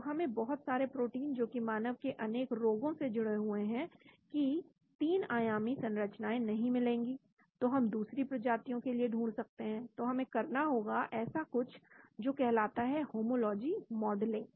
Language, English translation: Hindi, So we will not find the 3 dimensional structure of many proteins involved in many diseases for humans, so we may find for other species, so we need to perform something called a homology modeling